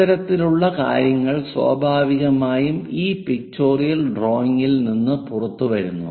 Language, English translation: Malayalam, This kind of things naturally comes out from this pictorial drawing